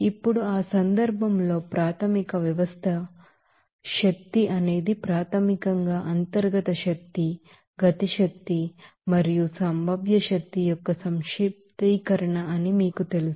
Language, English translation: Telugu, Now, in that case we also you know told about that initial system energy is basically the you know summation of internal energy, kinetic energy and potential energy